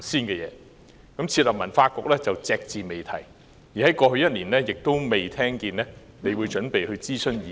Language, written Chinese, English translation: Cantonese, 關於設立文化局，你隻字不提，而在過去一年，我亦沒有聽聞你準備諮詢意見。, You simply remained silent on the setting up of a Culture Bureau neither have I heard that you were preparing to conduct any consultation in the past year